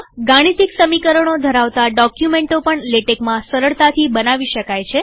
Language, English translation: Gujarati, Documents with a lot of mathematical equations can also be generated easily in Latex